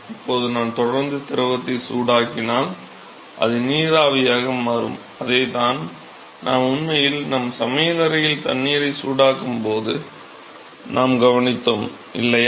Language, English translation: Tamil, Now, if I continue to further heat will be more fluid, which is going to become vapor and that is what we have observed when we actually heat water in our kitchen, right